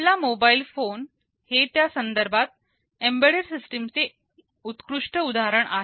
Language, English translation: Marathi, Well, our mobile phone is a very classic example of an embedded system in that respect